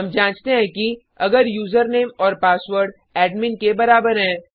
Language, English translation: Hindi, Here we check if username and password equals admin